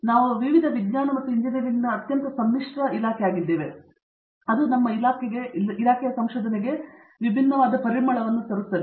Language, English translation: Kannada, So we bring a very melting pot of many different sciences and engineering, and that brings a very different flavor to our department’s research